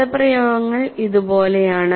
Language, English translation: Malayalam, And the expressions are like this